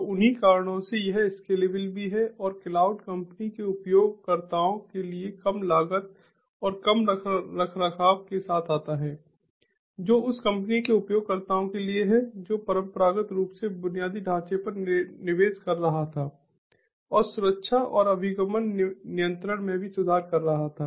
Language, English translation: Hindi, so it is highly reliable and is scalable likewise, so, for the same reasons, this is scalable as well, and cloud also comes with low cost and low maintenance for the company, the users of the company which is investing on in, which was traditionally investing on infrastructure and improved security and access control as well